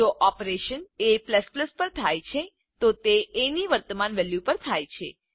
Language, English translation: Gujarati, If an operation is performed on a++, it is performed on the current value of a